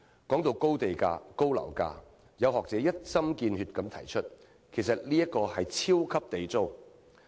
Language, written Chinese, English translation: Cantonese, 說到高地價、高樓價，有學者一針見血地指出，其實這是"超級地租"。, Talking about high land premium and property prices some scholars have hit the nail on the head by pointing out that they are nothing less than a super Government rent